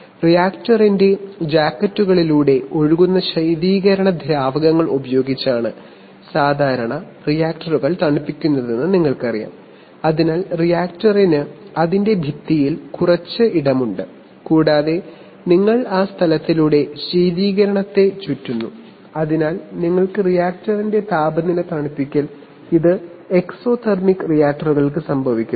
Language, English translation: Malayalam, You know typically reactors are cooled using coolant liquids, which flow through jackets of the reactor, so the reactor has some space in its wall and you circulate coolant through that space, so that you can cool the temperature of the reactor this happens for exothermic reactors where the reaction itself produces heat